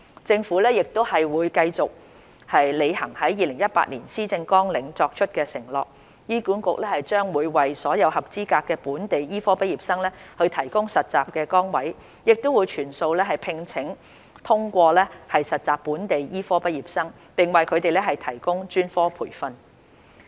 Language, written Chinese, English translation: Cantonese, 政府會繼續履行在2018年施政綱領所作出的承諾。醫管局將會為所有合資格的本地醫科畢業生提供實習崗位，亦會全數聘請通過實習的本地醫科畢業生，並為他們提供專科培訓。, The Government will uphold its commitment in the 2018 Policy Agenda that HA will provide internship opportunities for all qualified local medical graduates and will also employ all local medical graduates who have passed the internship and provide them with specialist training